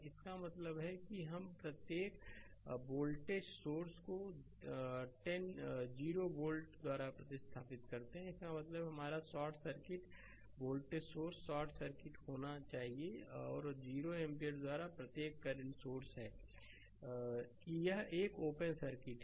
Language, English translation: Hindi, This means we replace every voltage source by 0 volt; that means, your short circuit that voltage source should be short circuit, and every current source by 0 ampere that is it is an open circuit right